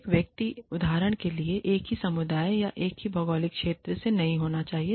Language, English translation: Hindi, Everybody, should not be from the same community, or same geographical region, for example